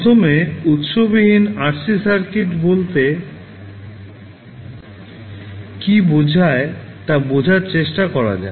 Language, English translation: Bengali, So, let us see what do you mean by first order RC circuits